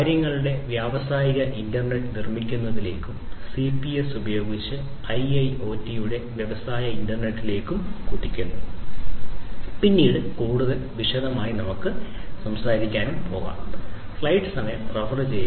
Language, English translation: Malayalam, So, we are gradually leaping forward towards building industrial internet of things and in, you know, the industrial internet of things IIoT using CPS, we are going to talk about in further detail later on